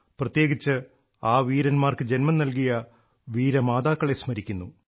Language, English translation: Malayalam, And especially, I remember the brave mothers who give birth to such bravehearts